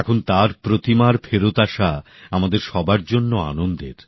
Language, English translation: Bengali, Now the coming back of her Idol is pleasing for all of us